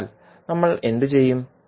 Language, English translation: Malayalam, So, what will do